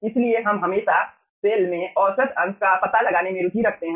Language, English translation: Hindi, so we are always interested to find out the average fraction in the cell